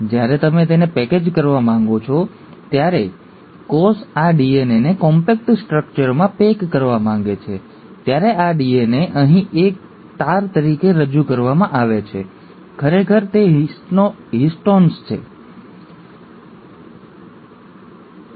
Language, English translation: Gujarati, When you want to package it, when the cell wants to package this DNA into a compact structure, this DNA, here it's represented as a string, actually winds around a set of proteins called as the ‘Histones’